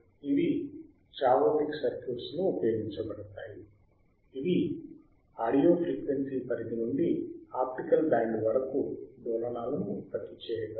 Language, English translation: Telugu, T right these are used in chaotic circuits which are capable to generate oscillation from audio frequency range to the optical band